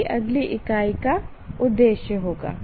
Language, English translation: Hindi, That will be the aim of the next unit